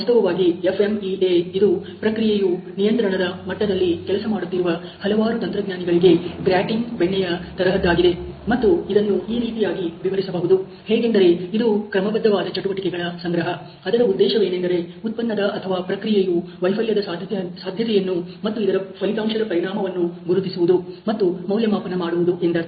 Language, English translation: Kannada, So, FMEA has a in fact began a gratin butter of several engineers working at process control level, and it can be describe is a systematize group of activities intended to recognize and evaluate the potential failure of a product or process and its resulting effect ok